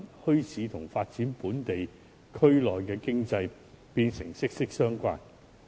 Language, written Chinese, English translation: Cantonese, 因此，墟市與本地區內經濟的發展變得息息相關。, Thus bazaars have become closely related to the economic development within the local districts